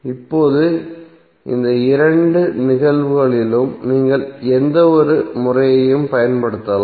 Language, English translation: Tamil, Now in both of these cases you can use any one of the method